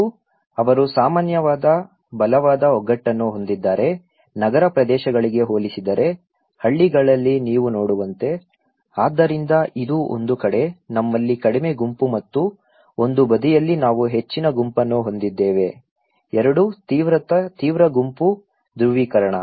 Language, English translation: Kannada, And they have share common very strong solidarity, okay like you can see in the villages compared to urban areas, so this is one side, we have a low group and one on the side we have high group; 2 extreme group polarizing